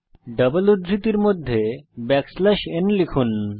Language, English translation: Bengali, Within double quotes, type backslash n